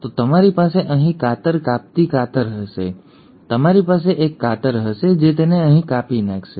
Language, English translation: Gujarati, So you will have a scissor cutting it here, you will have a scissor which will cut it here